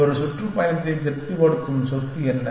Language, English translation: Tamil, What is the property that a tour by satisfy